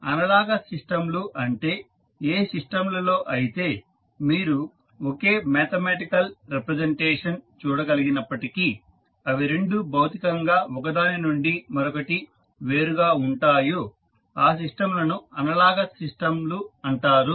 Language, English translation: Telugu, So, analogous systems are those systems where you see the same mathematical representation but physically they are different with each other